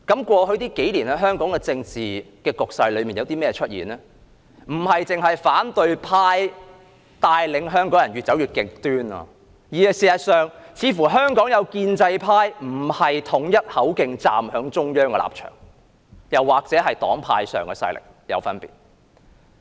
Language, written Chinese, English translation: Cantonese, 過去數年，香港的政治局勢出現一種現象，不只是反對派帶領香港人越走越極端，而是有些建制派再沒有統一口徑站在中央的立場，又或是黨派勢力出現分野。, Over the past few years there has been a phenomenon in Hong Kongs political situation . It is not only that the opposition camp has led Hong Kong people to go more and more extreme but some members of the pro - establishment camp have failed to act in unison in support of the position of the Central Authorities or there has been a distinction in the strength of different political parties and groupings